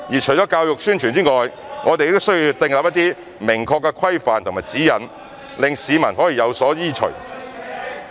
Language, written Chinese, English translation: Cantonese, 除了教育宣傳外，我們亦需要定出一些明確的規範和指引，讓市民有所依循。, Apart from education and publicity it is also necessary to set out some clear regulations and guidelines for members of the public to follow